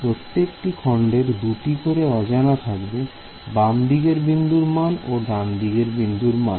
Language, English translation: Bengali, So, every element has two unknowns, the left node value and the right node value